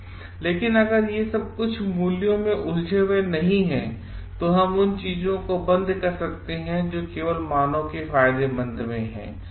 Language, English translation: Hindi, But if these are not ingrained in some values, then we may stop doing things which are only beneficial for the human beings